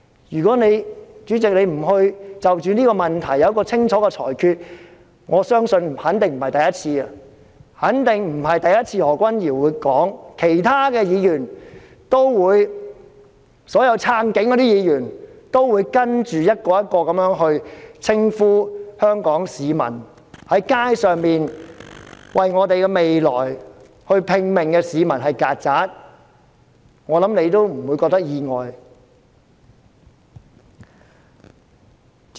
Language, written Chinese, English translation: Cantonese, 如果主席不就着這個問題作出一項清楚的裁決，我肯定不只是何君堯議員會在議事廳裏這樣說，其他所有"撐警"的議員也會一個接着一個的，在議事廳裏稱呼在街上為我們的未來拼命的香港市民為"曱甴"，我相信你亦不會感到意外。, If President does not make a clear ruling on this issue I am sure Dr Junius HO will not be the only Member making this remark in this Chamber but all the other Members in support of the Police will one after the other in this Chamber also refer to these Hong Kong citizens who risk their lives in the streets to fight for our future as cockroaches . And I believe you will not be surprised to see this picture